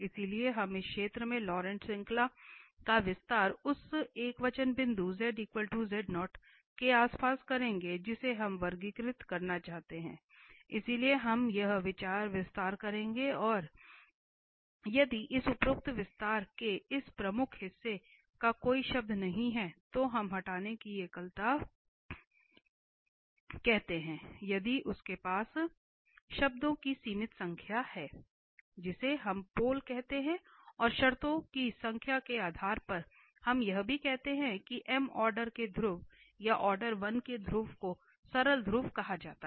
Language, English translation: Hindi, So, we will expand the Laurent series in this region around z equal to z naught point the singular point which we want to classify, so we will do this expansion there and if this principal part of this above expansion has no term we call removal singularity, if it has finite number of terms we call pole and depending on the number of terms we also say the pole of order m or pole of order 1 are called simple poles